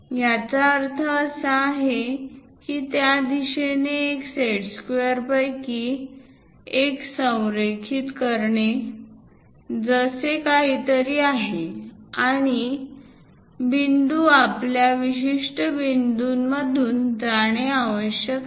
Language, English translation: Marathi, So, parallel to that, we have to construct it; that means align one of your set squares in that direction, something like that, and the point has to pass through our particular points